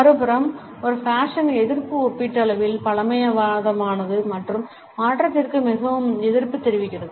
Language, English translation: Tamil, On the other hand, an anti fashion is relatively conservative and is very resistant to change